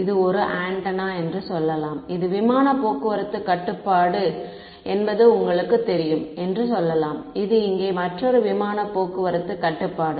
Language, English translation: Tamil, Let us say that this is one antenna over here, let us say this is you know air traffic control and this is another air traffic control over here